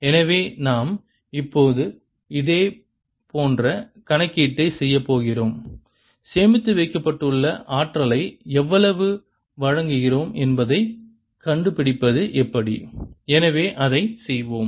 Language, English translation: Tamil, so we are going to do a similar calculation now to find out how much energy do we supply that is stored